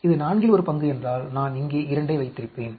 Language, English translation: Tamil, If it is one fourth, I would have put 2 here